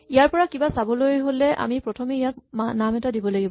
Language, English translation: Assamese, In order to see anything from this, we have to first give it a name